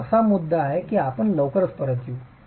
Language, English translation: Marathi, So, that's a point that we will come back to very soon